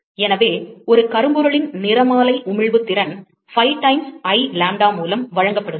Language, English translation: Tamil, So, the spectral emissive power of a black body is given by, pi times I lambda